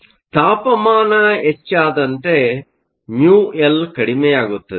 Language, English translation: Kannada, So, as temperature increase, mu L will decrease